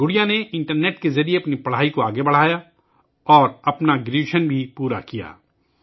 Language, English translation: Urdu, Gudiya carried on her studies through the internet, and also completed her graduation